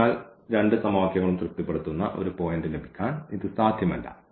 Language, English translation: Malayalam, So, this is not possible to have a point which satisfy both the equations